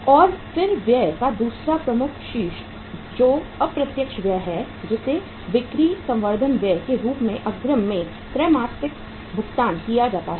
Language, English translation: Hindi, And then the second head of expense which is the indirect expense that is called as sales promotion expense paid quarterly in advance